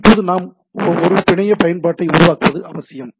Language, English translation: Tamil, Now so what we require to develop a network application